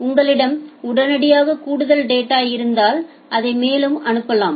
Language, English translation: Tamil, But if you have more data immediately you can send it further